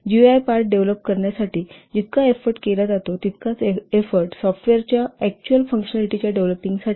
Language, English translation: Marathi, Effort spent on developing the GI part is upon as much as the effort spent on developing the actual functionality of the software